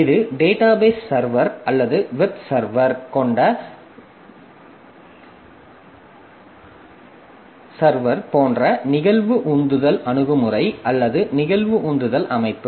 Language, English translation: Tamil, , where it is basically an event driven approach or event driven system, like the server that we have the database server or the web server